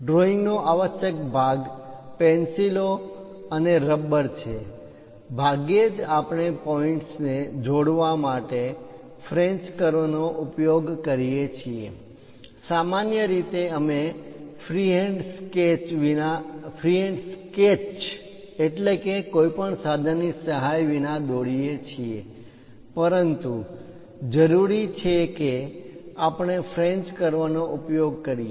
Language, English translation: Gujarati, The essential part of drawing is pencils and eraser; rarely, we use French curves to connect points; usually, we go with freehand sketches, but required we go with French curves as well